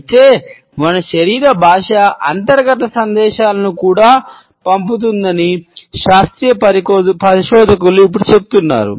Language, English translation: Telugu, However, scientific researchers have now claimed that our body language also sends internal messages